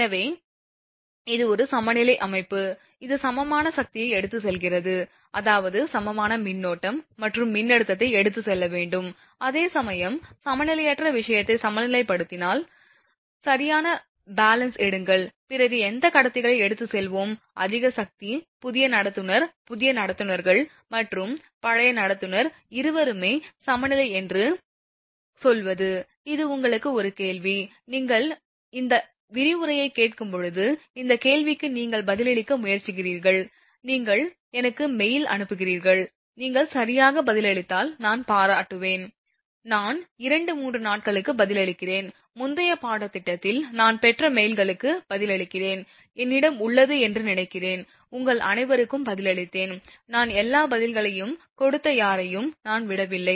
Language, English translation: Tamil, So, and it is a balance system, it is carrying equal power I mean balance system, supposed to carry equal current as well as your voltage also balance no question of unbalancing thing you take ideal case balance, then which conductors, so we will carry more power, the new conductor both new conductors or old conductor you as say it is a balance, this is a question to you; when you listen to this lecture you try to answer this question you send me mail and if you can correctly answer I will appreciate that, I reply within 2, 3 days I reply whatever mails in the previous course I have received, I think I have answered to all of you, I did not leave anyone I gave all answers